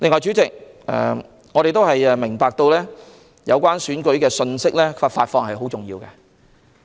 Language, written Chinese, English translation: Cantonese, 主席，我們明白有關選舉信息的發放十分重要。, President we understand that the dissemination of information related to the election is very important